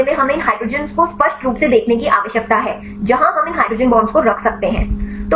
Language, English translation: Hindi, So, in this case we need these hydrogen to see the explicit where we can a have these hydrogen bond